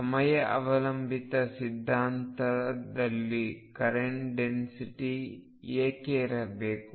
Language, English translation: Kannada, Why should there be a current density in time dependent theory